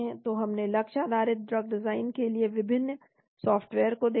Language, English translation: Hindi, So we looked at different softwares for target based drug design